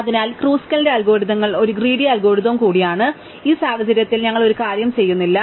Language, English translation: Malayalam, So, Kruskal's algorithms is, also a greedy algorithm, in this case we do not make a